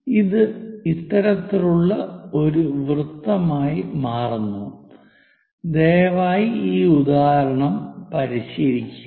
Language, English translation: Malayalam, It turns out to be this kind of circle, please practice this example, ok